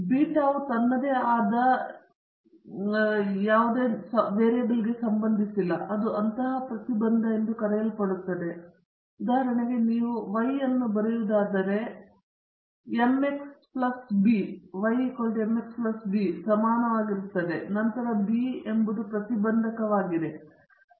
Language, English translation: Kannada, Beta naught is not associated with the any variable it has standing on its own it is the so called intercept, for example, if you write y is equal to m X plus b then the b is the intercept